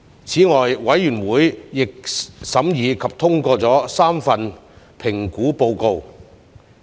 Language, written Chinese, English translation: Cantonese, 此外，委員會亦審議及通過了3份評估報告。, Moreover the Committee considered and endorsed 3 assessment reports